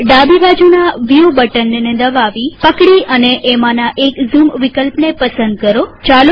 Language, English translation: Gujarati, Click the View button on the top left hand side, hold and choose one of the zoom options